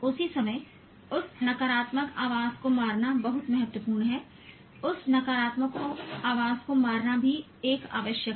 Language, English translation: Hindi, At the same time, it's very important to kill that negative voice